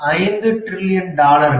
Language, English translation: Tamil, 5 trillion dollars